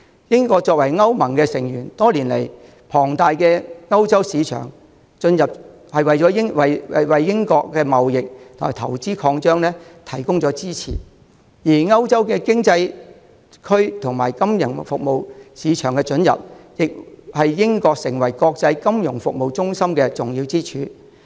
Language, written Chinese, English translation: Cantonese, 英國作為歐盟的成員，多年來，龐大的歐洲市場准入為英國的貿易和投資擴張提供支持，而歐洲經濟區金融服務市場的准入，亦是英國成為國際金融服務中心的重要支柱。, Having been a member of EU for years Britain has expanded its trade and investment with the support of the market access to the huge European market . Also the access to the financial services market of the European Economic Area has been an important pillar supporting Britains position as an international financial services centre